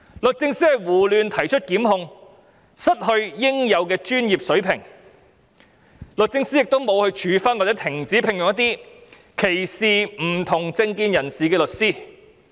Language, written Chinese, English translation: Cantonese, 律政司胡亂提出檢控，失去應有的專業水平，律政司亦沒有處分或停止聘用一些歧視不同政見人士的律師。, It has also failed to mete out punishments against or cease engaging certain lawyers who discriminate against people with different political views